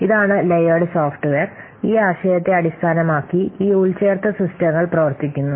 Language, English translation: Malayalam, This is the layered software and based on this concept this embedded systems work